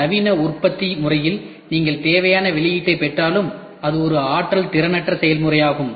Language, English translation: Tamil, Non conventional though you get the required output, but it has to it is it is a energy inefficient process